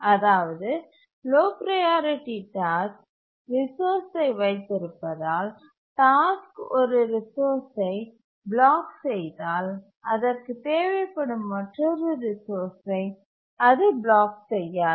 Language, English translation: Tamil, So that is once a task blocks for a resource because the resource is being held by a low priority task, it will not block for another resource that it may need